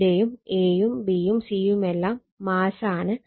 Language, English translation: Malayalam, And here also a, b, and c all are mass